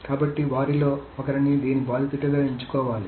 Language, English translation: Telugu, So, one of them must be chosen as the victim of this